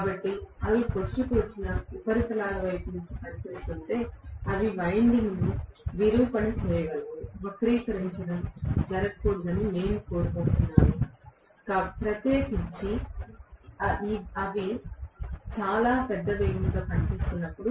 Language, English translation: Telugu, So if they are acting towards the protruding surfaces they can deform the winding, we do not want the deformation to happen, especially when they are working at very large speeds